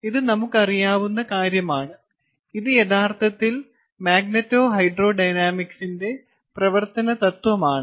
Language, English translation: Malayalam, ok, so this we know, and this is actually the principle on which magneto hydrodynamics operates